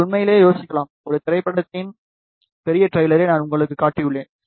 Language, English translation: Tamil, You can really think about, I have shown you a large trailer of a movie ok